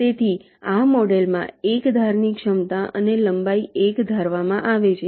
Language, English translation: Gujarati, so in this model the capacity and the length of each edge is assume to be one